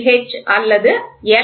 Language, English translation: Tamil, H or L